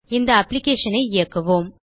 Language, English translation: Tamil, Run this application